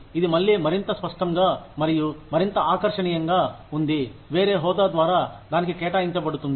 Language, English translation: Telugu, Which is again, made more tangible, and more appealing, by a different designation, that is assigned to it